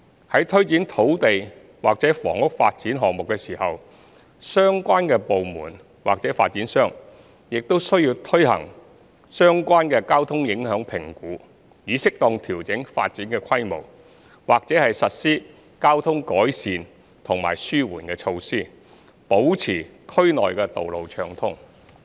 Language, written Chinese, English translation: Cantonese, 在推展土地或房屋發展項目時，相關部門或發展商需要進行相關交通影響評估，以適當調整發展規模，或實施交通改善及紓緩措施，保持區內道路暢通。, In taking forward landhousing development projects the relevant departments or developers should conduct a traffic impact assessment TIA to suitably adjust the scale of development or implement suitable traffic improvement and mitigation measures to maintain smooth traffic flow in the district